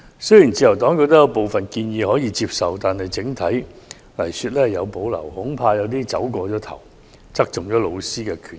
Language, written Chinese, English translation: Cantonese, 雖然自由黨認為部分建議可以接受，但整體而言則有所保留，恐怕會過分側重老師的權益。, Although the Liberal Party finds some of the recommendations acceptable we generally have reservations and we are afraid that excessive focus will be put on the interests of teachers